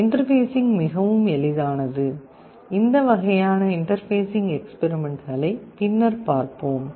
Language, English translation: Tamil, The interface is very simple, we shall be seeing this kind of interfacing experiments later